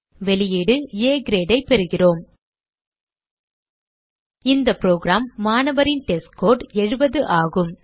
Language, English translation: Tamil, We get the output as A Grade In this program, the students testScore is 70